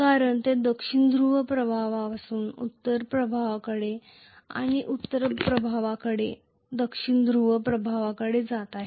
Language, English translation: Marathi, Because it is drifting from South Pole influence to North Pole influence and North Pole influence to South Pole influence